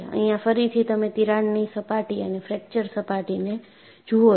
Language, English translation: Gujarati, Here again, you see the crack surface and fracture surface